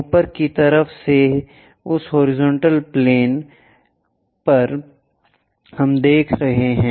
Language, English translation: Hindi, On that horizontal plane from top side we are viewing